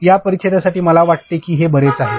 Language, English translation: Marathi, For this paragraph I think this much is sufficient